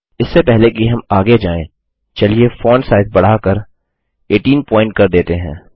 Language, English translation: Hindi, Before we go ahead, let us increase the font size to 18 point